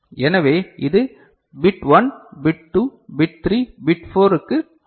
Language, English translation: Tamil, So, this is for bit 1, bit 2, bit 3, bit 4